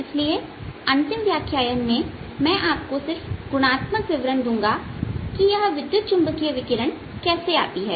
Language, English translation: Hindi, so in this final lecture i'm just going to give you a qualitative description of how you electromagnetic radiation arises